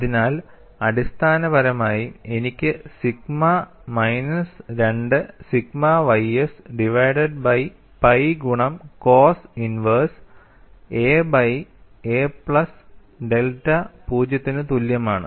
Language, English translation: Malayalam, So, essentially, I get sigma minus 2 sigma ys divided by pi multiplied by cos inverse a by a plus delta equal to 0